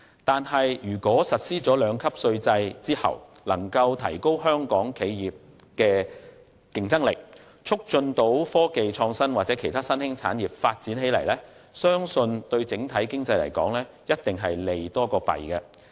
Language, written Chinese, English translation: Cantonese, 可是，如果實施兩級稅制能夠提高香港企業的競爭力，促進科技創新或其他新興產業的發展，相信對整體經濟一定是利多於弊。, Nonetheless if the introduction of the two - tier profits tax system can enhance the competitiveness of Hong Kongs enterprises and facilitate the development of IT or other emerging industries tax reduction will do more good than harm to the overall economy